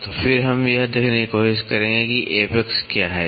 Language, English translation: Hindi, So, then we will try to see what is apex